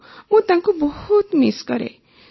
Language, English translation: Odia, Yes, I miss him a lot